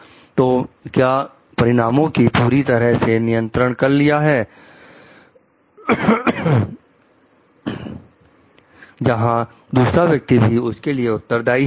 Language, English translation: Hindi, So, was I full control for the consequences, where other people responsible also